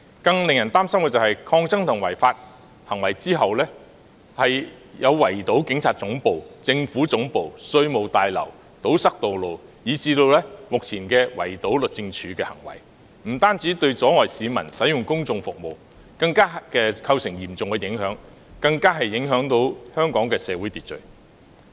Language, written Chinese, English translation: Cantonese, 更令人擔心的是，繼抗爭及違法的行為後，有圍堵警察總部、政府總部和稅務大樓、堵塞道路，以致目前圍堵律政中心的行為，不單阻礙市民使用公眾服務，更嚴重影響香港的社會秩序。, What is more worrying is that following resistant and illegal actions there were acts of besieging the Police Headquarters the Central Government Offices and the Revenue Tower blocking roads as well as the current besiege of Justice Place . Not only did they hinder members of the public from using public services but also seriously affect social order in Hong Kong